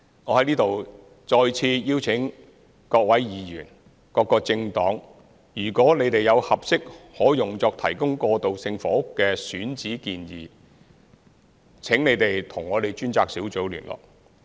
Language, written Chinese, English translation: Cantonese, 我在此再次邀請各位議員、各個政黨，如你們有合適可用作提供過渡性房屋的選址建議，請你們與我們的專責小組聯絡。, I would like to appeal to Members and various political parties again that if you have any suggestion concerning the suitable sites available for transitional housing please contact our task force